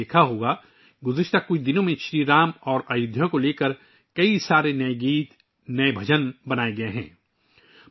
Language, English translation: Urdu, You must have noticed that during the last few days, many new songs and new bhajans have been composed on Shri Ram and Ayodhya